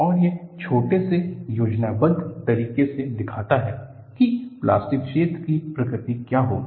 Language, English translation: Hindi, And, this shows a small schematic of what would be the nature of the plastic zone